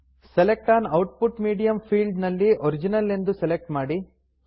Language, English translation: Kannada, In the Select an output medium field, select Original